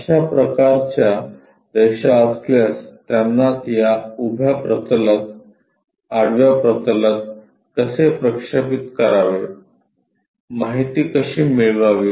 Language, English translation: Marathi, If such kind of lines are there how to project them onto this vertical plane, horizontal plane, get the information